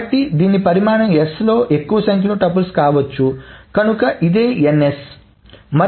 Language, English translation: Telugu, So the size of this can be at most the number of tuples in s